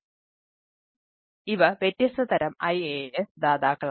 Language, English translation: Malayalam, so these are, these are the different type of iaas provider